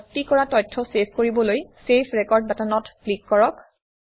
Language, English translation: Assamese, To save the entries, click on the Save Record button